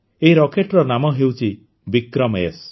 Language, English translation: Odia, The name of this rocket is 'VikramS'